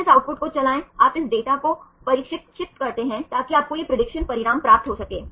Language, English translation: Hindi, Again run this output right you train this data to get this prediction results for you have to sequence